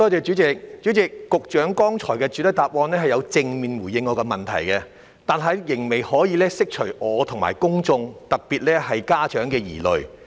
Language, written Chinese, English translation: Cantonese, 主席，局長剛才有在主體答覆中正面回應我的質詢，只是仍未能釋除我和公眾的疑慮。, President the Secretary did have responded positively to my question in his main reply just now but still that fails to allay the concerns of the public and mine